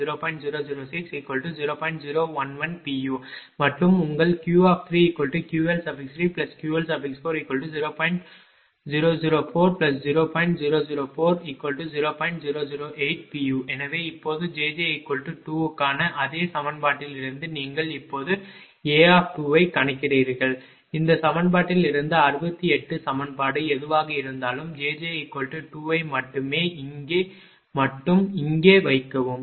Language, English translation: Tamil, So now, from the same equation for j j is equal to j j is equal to 2, you calculate A 2 now, from this equation only whatever from equation 68, only put j j is equal to 2 here only here only right here only